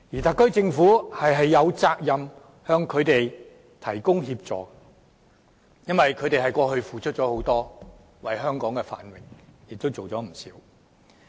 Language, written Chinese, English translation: Cantonese, 特區政府有責任向他們提供協助，因為他們過去為香港付出很多，為香港的繁榮作出不少貢獻。, The SAR Government has the responsibility to provide assistance to these people for the past efforts they made for Hong Kong . They have contributed a lot to the prosperity of Hong Kong